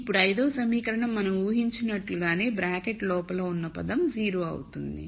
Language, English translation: Telugu, Now the fth equation becomes the one which we have assumed which is the term inside the bracket is 0